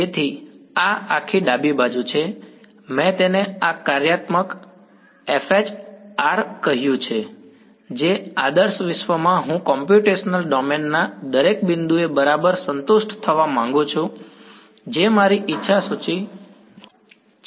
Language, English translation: Gujarati, So, this entire left hand side I am I have called it this functional F H r which in the ideal world I would like to be satisfied exactly at every point in the computational domain that is my wish list